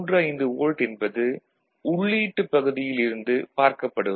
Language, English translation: Tamil, 35 volt that you see from the input side from VB4 side it is 1